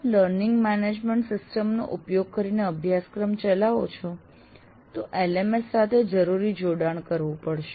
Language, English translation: Gujarati, And on top of that, if you are operating using a learning management system and the necessary connectivity to the LMS has to be made